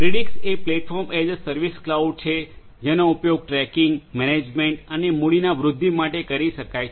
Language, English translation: Gujarati, Predix is a Platform as a Service cloud, which can be used for tracking, management and enhancement of capital